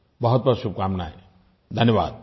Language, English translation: Hindi, My best wishes to them